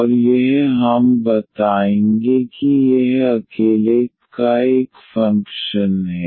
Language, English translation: Hindi, And that we will tell us that this is a function of y alone